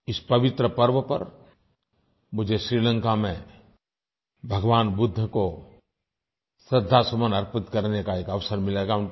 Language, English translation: Hindi, On this holy event I shall get an opportunity to pay tributes to Lord Budha in Sri Lanka